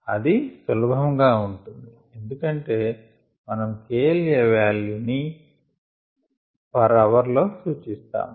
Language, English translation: Telugu, that's easy to make sense because we normally look at k l a values on ah per hour basis